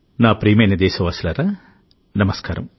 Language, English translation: Telugu, Hello my dear countrymen Namaskar